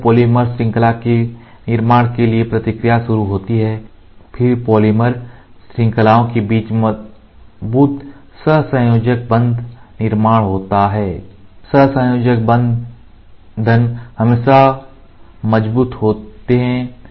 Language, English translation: Hindi, Subsequently reaction occurs to build the polymer chain and then to cross link creation of strong covalent bond between the polymer chains, covalent bonds are always strong